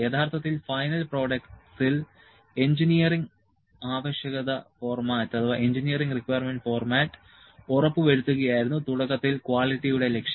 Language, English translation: Malayalam, Originally, the goal of the quality was to ensure that engineering requirement format in final products